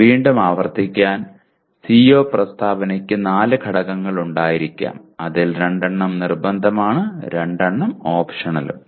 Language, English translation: Malayalam, Again to reiterate the CO statement can have four elements out of which two are compulsory and two are optional